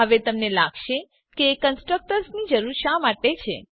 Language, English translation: Gujarati, Now you might feel why do we need constructors